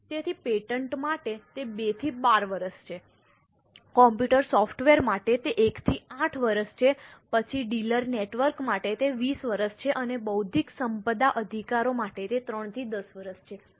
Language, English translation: Gujarati, So, for patents it is 2 to 12 years, for computer software it is 1 to 8 years, then for dealer network it is 20 years and for intellectual property rights it is 3 to 10 years